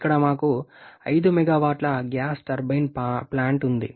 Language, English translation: Telugu, Here we have 5 megawatt gas turbine plant